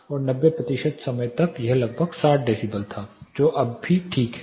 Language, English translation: Hindi, And for 90 percent of the time it was around 60 decibel which is still agreeable